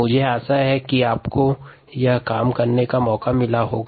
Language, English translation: Hindi, i hope you would have a chance to work this out